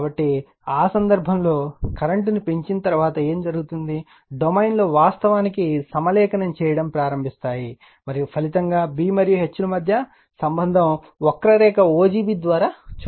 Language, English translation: Telugu, So, in that case, what will happen after going on increasing the current right, the domains actually begins to align and the resulting relationship between B and H is shown by the curve o g b right